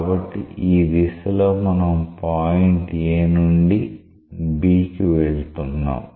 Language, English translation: Telugu, So, we are going from A to B in this direction